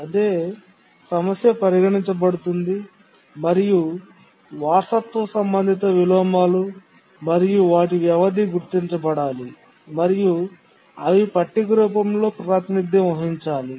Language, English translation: Telugu, We'll consider the same problem and we'll now try to identify the inheritance related inversion and the duration and we'll represent in the form of a table